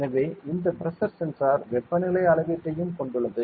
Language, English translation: Tamil, So, this Pressure sensor also have Temperature measurement inside it